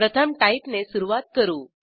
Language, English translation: Marathi, First, I will begin with Type